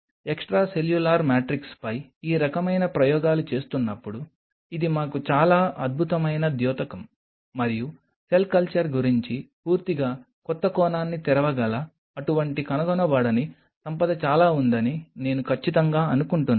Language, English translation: Telugu, That was a very stunning revelation for us while doing these kinds of experiments on extracellular matrix and I am pretty sure there are many such undiscovered wealth which may open up a totally new dimension about cell culture